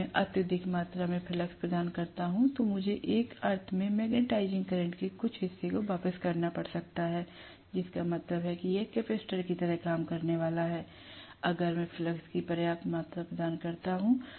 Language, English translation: Hindi, If I provide excessive amount of flux, then I might have to return some portion of the magnetising current in one sense, which means it is going to work like a capacitor, if I provide just sufficient amount of flux